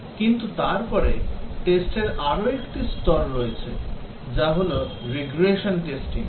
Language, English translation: Bengali, But then there is another level of testing which is Regression testing